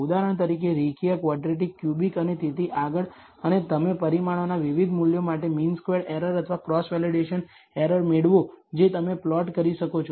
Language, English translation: Gujarati, For example, the linear the quadratic the cubic and so on so forth and you get the mean squared error or cross validation error for different values of the parameters which you can plot